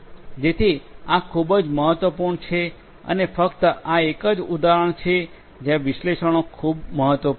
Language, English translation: Gujarati, So, this is very important and this is just an example where analytics is very important